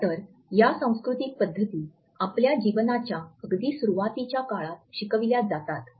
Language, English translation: Marathi, These cultural practices in fact, are the culture codes which human beings learn at a very early stage of their life